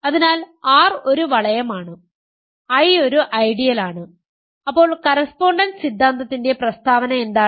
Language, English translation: Malayalam, So, R is a ring, I is an ideal and what is the statement of the correspondence theorem